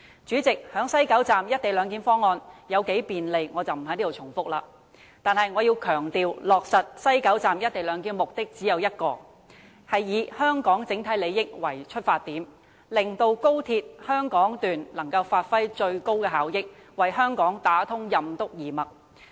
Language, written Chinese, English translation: Cantonese, 主席，關於西九龍站"一地兩檢"方案有多麼便利，在此我不再重複，但我要強調，落實西九龍站"一地兩檢"方案的目的只有一個，便是以香港整體利益為出發點，令高鐵香港段能發揮最高效益，為香港打通任督二脈。, President I am not going to elaborate repeatedly here the convenience of implementing the co - location arrangement at West Kowloon Station but I would like to emphasize that with the overall interests of Hong Kong in mind the only objective for implementing the arrangement is to give full play to the effectiveness of the Hong Kong Section of XRL so as to achieve better connections with the Mainland